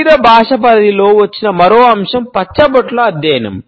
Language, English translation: Telugu, Another aspect which has come under the purview of body language now is the study of tattoos